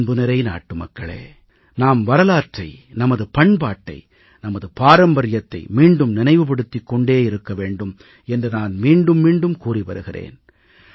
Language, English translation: Tamil, My dear countrymen, I maintain time & again that we should keep re visiting the annals of our history, traditions and culture